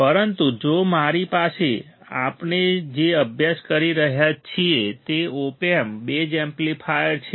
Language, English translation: Gujarati, But if I have what we are studying is op amp base amplifier